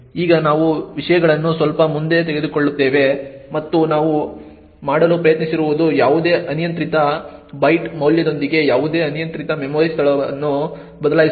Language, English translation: Kannada, Now we will take things a bit more further and what we are trying to do is change any arbitrary memory location with any arbitrary byte value